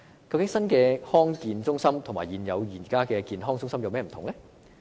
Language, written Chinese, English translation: Cantonese, 究竟新的康健中心與現有的健康中心有何不同呢？, So what is the difference between the new district health centre and the existing CHCs?